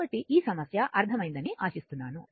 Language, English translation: Telugu, So, this is hope this problem is understandable to you right